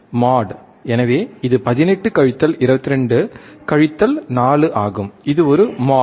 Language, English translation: Tamil, If we put this value again, 18 minus 22 would be 4 again it is a mode